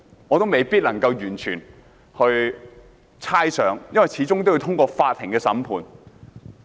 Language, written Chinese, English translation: Cantonese, 我不能猜想，因為始終要通過法院審判。, I cannot predict as it depends on the Courts judgment